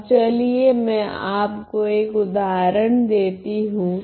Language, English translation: Hindi, Now, let me give you one example